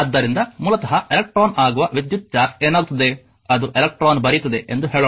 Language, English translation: Kannada, So, basically what happen electrical charge that is electron say in that it were writing electron